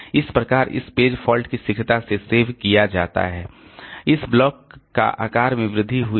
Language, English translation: Hindi, So, this, so that this page faults are served quickly, this block the block size is increased